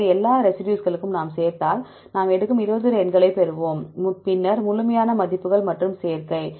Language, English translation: Tamil, So, if we add up for all the residues, we get 20 numbers when we take then absolute values and the add up